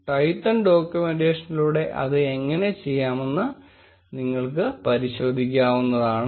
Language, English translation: Malayalam, You can check how to do that by going through the Twython documentation